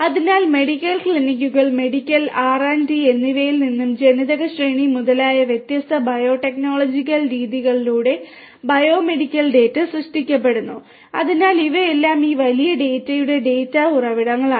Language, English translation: Malayalam, So, then bio medical data generated from the medical clinics, medical R and Ds you know through different biotechnological you know different bio technological methods such as gene sequencing etcetera so all of these are data sources for this big data